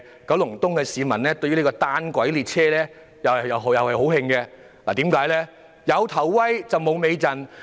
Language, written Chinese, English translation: Cantonese, 九龍東的居民對於單軌列車感到非常氣憤，因為這項建議"有頭威，無尾陣"。, Residents of Kowloon East are furious about the monorail system because the proposal has a glamorous start but a disappointing ending